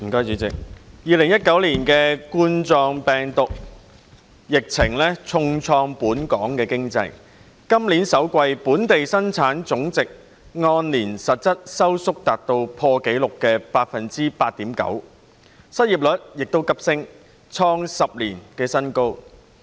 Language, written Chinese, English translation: Cantonese, 2019冠狀病毒病疫情重創本港經濟，今年首季本地生產總值按年實質收縮達破紀錄的百分之八點九，失業率亦急升，創10年新高。, The Coronavirus Disease 2019 epidemic has dealt a heavy blow to Hong Kongs economy . In the first quarter of this year the Gross Domestic Product contracted by a record of 8.9 % in real terms from a year earlier and the unemployment rate also soared hitting a new high in 10 years